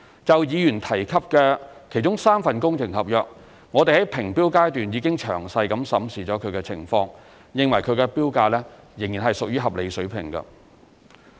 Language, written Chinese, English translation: Cantonese, 就議員提及的其中3份工程合約，我們在評標階段已詳細審視情況，認為其標價仍屬合理水平。, As regards the three works contracts mentioned by the Member we have examined the situations in detail during tender evaluation and considered the tender prices reasonable